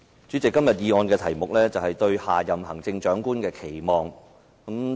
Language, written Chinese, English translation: Cantonese, 主席，今天議案的題目是"對下任行政長官的期望"。, President the topic of todays motion is Expectations for the next Chief Executive